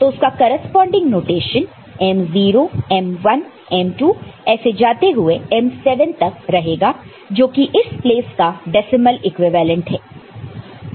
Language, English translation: Hindi, And the corresponding a notation in terms of m0, m1, m2 go up to m7 which is the decimal equivalent of this place ok